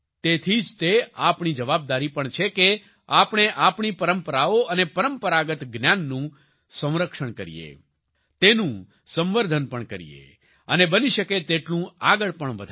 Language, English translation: Gujarati, Therefore, it is also our responsibility to preserve our traditions and traditional knowledge, to promote it and to take it forward as much as possible